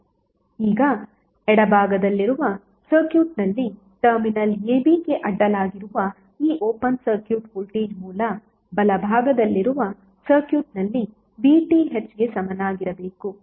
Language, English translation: Kannada, Now this open circuit voltage across the terminal a b in the circuit on the left must be equal to voltage source VTh in the circuit on the right